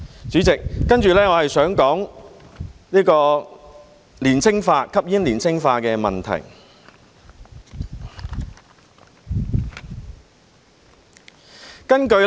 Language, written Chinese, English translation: Cantonese, 主席，接着我想談談吸煙年青化的問題。, President next I would like to talk about the downward trend in the age of smokers